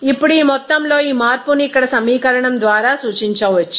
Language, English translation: Telugu, Now, this change of this amount of A can be represented by the equation here